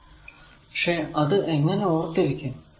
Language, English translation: Malayalam, So, how to remember this